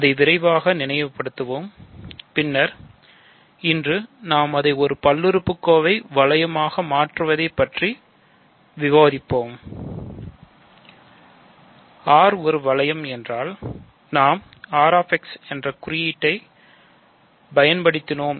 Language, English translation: Tamil, So, let us quickly recall that, then today we will discuss that we make it a polynomial ring ok